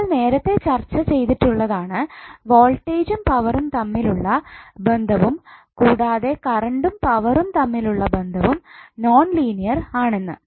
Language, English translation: Malayalam, Now that we have discussed earlier that the relationship between voltage and power and current and power is nonlinear